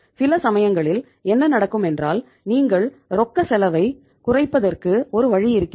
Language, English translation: Tamil, Sometimes what happens and this is a the way you can say reduce the cost of your cash